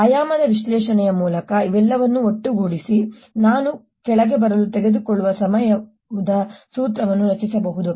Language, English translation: Kannada, combining all this through a dimensional analysis i can create a formula for time that it will take to come down